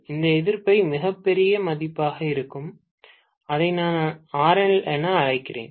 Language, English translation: Tamil, This resistance is going to be a very very large value, let me call that as RL, doesn’t matter